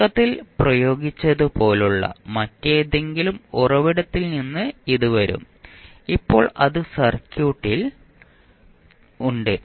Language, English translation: Malayalam, It will come from some other source like initially applied and now is continuing